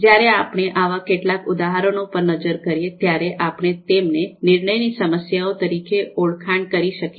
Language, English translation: Gujarati, So, we look at some of these examples, so these in a sense you know are decision problems